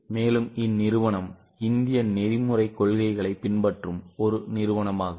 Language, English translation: Tamil, They are very much a company following Indian ethical principles